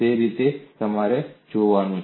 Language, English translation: Gujarati, That is the way you have to look at it